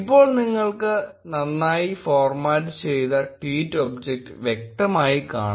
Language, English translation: Malayalam, Now, you can clearly see a well formatted tweet object